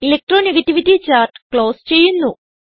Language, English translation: Malayalam, I will close the Electro negativity chart